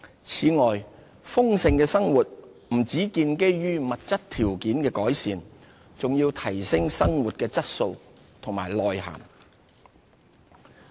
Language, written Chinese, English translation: Cantonese, 此外，豐盛的生活不只建基於物質條件的改善，還要提升生活的質素和內涵。, Besides a fulfilling life calls for not only materialistic improvements but also better quality of life and spiritual enrichment